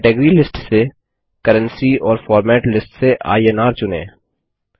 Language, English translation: Hindi, Select Currency from the Category List and INR from the Format List